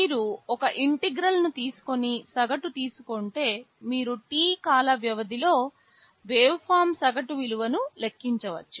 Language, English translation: Telugu, If you simply take an integral and take the average you can compute the average value of the waveform over the time period T